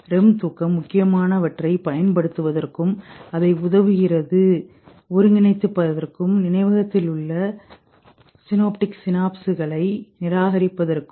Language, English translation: Tamil, REM sleep serves the purpose of using whatever is important and consolidating it in the memory and rejecting the rest of the synaptic synapsis